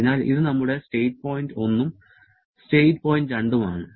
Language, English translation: Malayalam, So, this is our state point 1 and state point 2